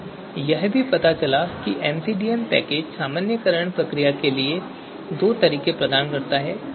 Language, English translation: Hindi, So you know the MCDM package gives us two ways to normalize so that is different